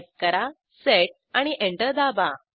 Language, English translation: Marathi, Now type set and press Enter